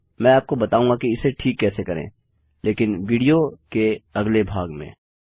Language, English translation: Hindi, I will teach you how to fix it but in the next part of the video